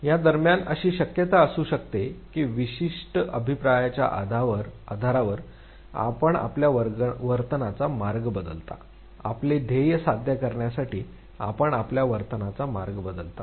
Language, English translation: Marathi, In between there could be a possibility that based on certain feedback, you change the trajectory of your behavior, you change the course of your behavior in order to achieve your goal